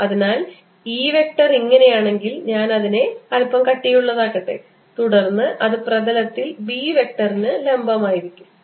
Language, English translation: Malayalam, so if e vector is like this let me make a little thick then b vector has to be perpendicular to this in the same plane